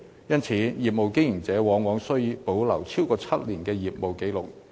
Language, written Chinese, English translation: Cantonese, 因此，業務經營者往往需保留超過7年的業務紀錄。, As such a business operator often needs to keep his business records for more than seven years